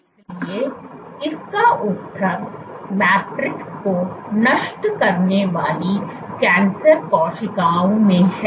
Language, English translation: Hindi, So, the answer lies in cancer cells degrading the matrix